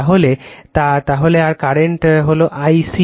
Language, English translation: Bengali, So, and the current is I c